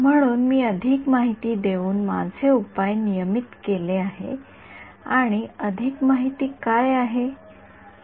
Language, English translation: Marathi, So, I have regularize my solution by giving some more information and what is that more information